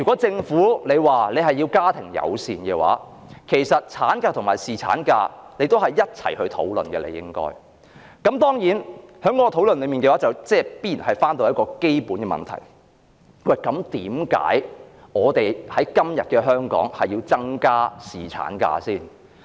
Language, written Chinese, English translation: Cantonese, 政府若要鼓吹家庭友善政策，便應就產假和侍產假作出一併的討論，而在討論過程中必然會觸及那基本問題：為甚麼香港要在今天增加侍產假？, If the Government wants to promote a family - friendly policy the granting of maternity leave should then be discussed together with paternity leave entitlement and in the course of discussion we would definitely touch on the following basic issue Why should we increase paternity leave entitlement in Hong Kong today?